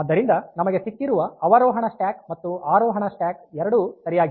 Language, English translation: Kannada, So, we have got descending stack we have got ascending stack, both are correct